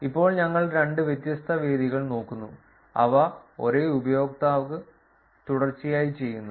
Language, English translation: Malayalam, Now we are looking at two different venues, which are done by the same user consecutively